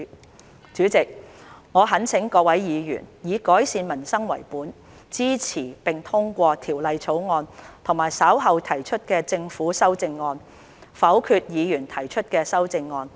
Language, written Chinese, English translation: Cantonese, 代理主席，我懇請各位議員，以改善民生為本，支持並通過《條例草案》和稍後提出的政府修正案，否決議員提出的修正案。, Deputy President I implore Members to support and pass the Bill and the Governments amendments to be moved later and vote down the amendments to be moved by Members with a view to improving peoples livelihood